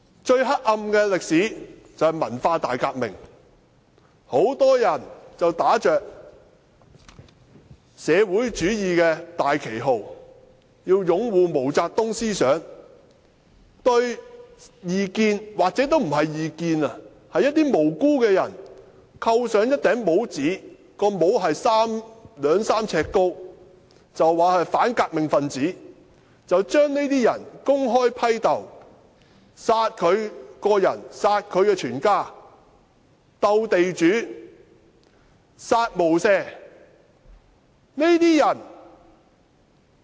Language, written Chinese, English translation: Cantonese, 最黑暗的歷史，就是文化大革命，很多人打着"社會主義"的大旗號，要擁護毛澤東思想，對異見——或許不是異見——對一些無辜的人扣上帽子，是兩三呎高的帽子，指他們是反革命分子，將這些人公開批鬥，殺他本人及殺他全家，"鬥地主，殺無赦"。, The darkest one was the Cultural Revolution . Many supporters of MAO Zedongs ideology waving the banner of socialism framed the dissidents and even innocent people who were not dissidents with hats of two to three feet tall calling them counter - revolutionaries . They openly criticized these people killed them and their families so as to purge the landlords by killing without mercy